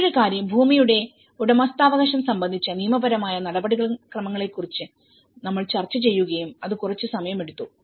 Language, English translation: Malayalam, And the other thing we did discuss about the tenure and the ownership the legal procedures regarding the land ownership which also took some time